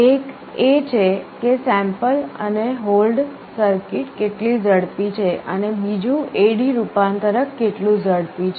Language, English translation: Gujarati, One is how fast is the sample and hold circuit, and the other is how fast is the A/D converter